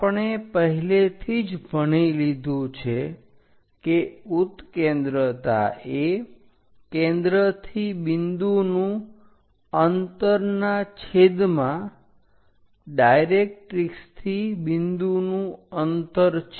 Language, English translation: Gujarati, We have already linked eccentricity is distance of point from focus to distance from directrix